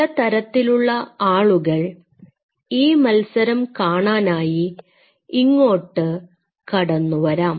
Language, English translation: Malayalam, And these are the different kind of people coming to an view the match